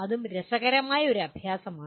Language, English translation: Malayalam, That also is an interesting exercise